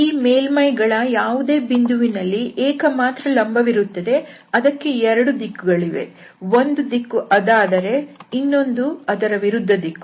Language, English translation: Kannada, So, at any point of these surfaces we have a unique normal at any point and they will have 2 directions, one will be that is the other of the direction of the previous one